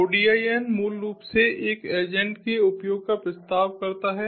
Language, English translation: Hindi, odin basically proposes the use of an agent